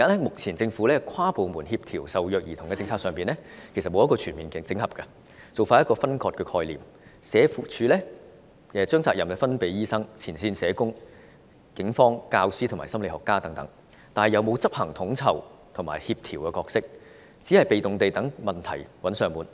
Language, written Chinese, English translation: Cantonese, 目前政府跨部門協調受虐兒童的政策其實沒有全面整合，做法仍是分割的概念，社署把責任推給醫生、前線社工、警方、教師和心理學家等，但卻沒有發揮統籌和協調的角色，只有被動地待問題"找上門"。, At present the Governments inter - departmental policy on coordinating the work to handle abused children has not been fully integrated . The work is still highly compartmentalized . SWD passes the bucket to doctors frontline social workers the Police teachers and psychologists